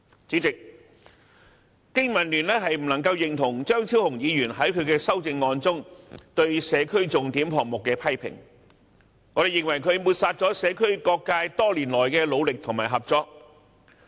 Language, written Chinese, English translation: Cantonese, 主席，經民聯不能認同張超雄議員在其修正案中對社區重點項目的批評，我們認為他抹煞了社區各界多年來的努力與合作。, President the BPA cannot agree with Dr Fernando CHEUNGs criticisms of the SPS in his amendment . We consider that he has brushed aside the efforts and collaboration made by various sectors in the community over the years